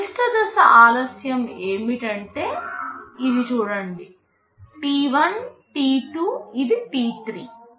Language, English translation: Telugu, What will be the maximum stage delay, see this is t1, this is t2, this is t3